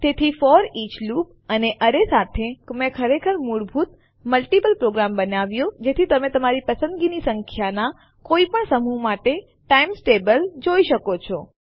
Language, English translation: Gujarati, So from this FOREACH loop and array Ive created a really basic, multiple program with which you can see the times table for any set of numbers you like So thats the FOREACH loop